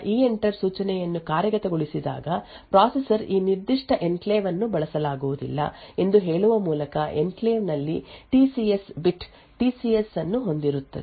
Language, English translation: Kannada, So, when the EENTER instruction is executed by the processor, the processor would set TCS bit the TCS in enclave too busy stating that this particular enclave is not used